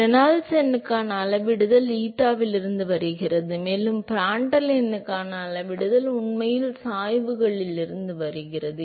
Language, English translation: Tamil, The scaling for Reynolds number comes from eta, and the scaling for Prandtl number actually comes from the gradients